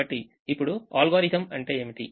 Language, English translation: Telugu, so now, what is the algorithm